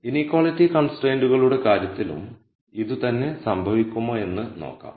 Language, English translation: Malayalam, Now we will see whether the same thing happens in the case of inequality constraints